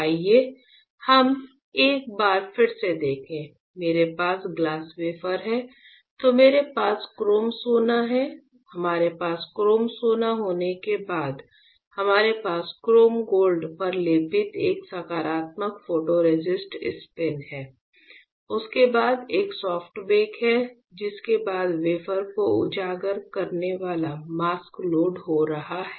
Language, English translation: Hindi, Again let us quickly see once again what we are discussed; we have glass wafer then we have chrome gold after I after we have chrome gold we have a positive photoresist spin coated on chrome gold followed by a soft bake followed by loading a mask exposing the wafer